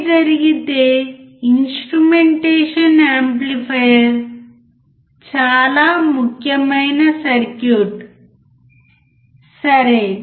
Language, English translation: Telugu, If that is the case, then the instrumentation amplifier is extremely important circuit, alright